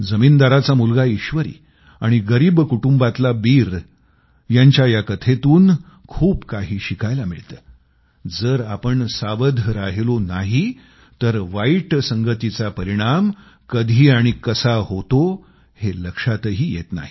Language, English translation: Marathi, The moral of this story featuring the landholder's son Eeshwari and Beer from a poor family is that if you are not careful enough, you will never know when the bane of bad company engulfs you